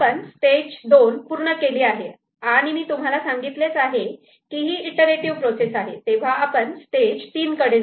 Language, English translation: Marathi, So, we have completed stage 2 as I said it was a it is a iterative process, so we move to stage 3